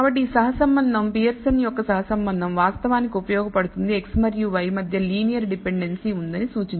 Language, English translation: Telugu, So, this correlation, Pearson’s correlation, actually is useful to indicate there is a linear dependency between x and y